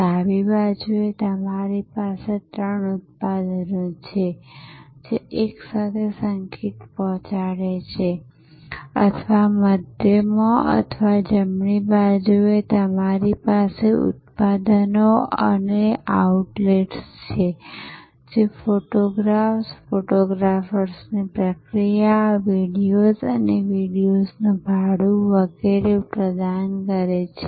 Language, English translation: Gujarati, On the left hand side you have three products which together delivered music or in the middle or on the right you have products and outlets which provided photographs, processing of photographs, videos, rental of videos and so on